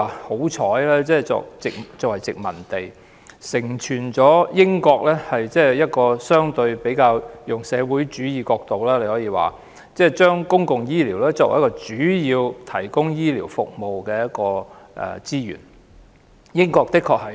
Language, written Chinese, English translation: Cantonese, 香港曾經作為殖民地，我們可以說是相當幸運，因為承傳了英國相對以較社會主義的角度，把公共醫療作為主要提供醫療服務的資源。, We can say that Hong Kong is rather lucky to have been a British colony because it has inherited the United Kingdoms relatively socialist perspective of treating public healthcare as the main source for providing healthcare services